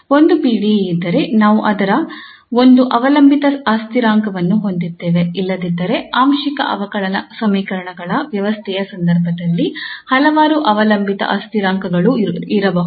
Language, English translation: Kannada, If there is one PDE then we have one dependent variable; otherwise there could be also several dependent variables in case of a system of differential, system of partial differential equations